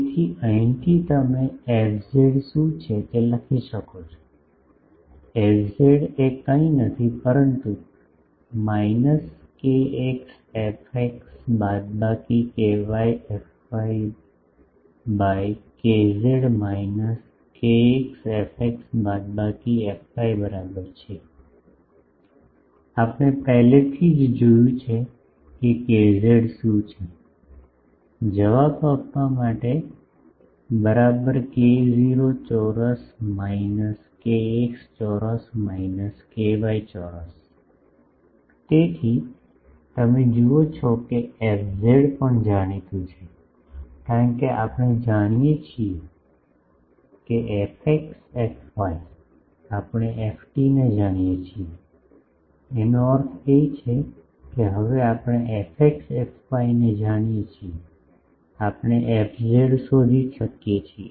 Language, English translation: Gujarati, So, from here you can write what is fz; fz is nothing, but minus kx fx minus ky fy by kz is equal to minus kx fx minus ky fy by we have already seen what is kz; k not square minus kx square minus ky square equal to answer is; so, you see that fz is also known, because we know fx fy we know ft; that means, we know fx fy now, we can find fz